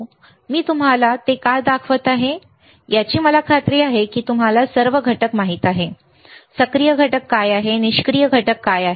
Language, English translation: Marathi, And why I am kind of showing it to you I am sure that you all know what are the components, what are the active components, what are the passive components